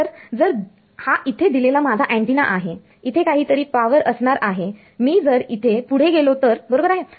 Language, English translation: Marathi, So, if I this is my antenna over here there is some power over here, if I go further over here right